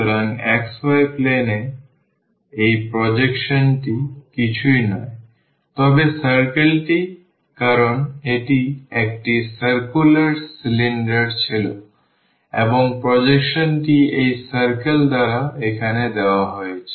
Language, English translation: Bengali, So, this projection on the xy plane is nothing, but the circle because it was a circular cylinder and the projection is given as here by this circle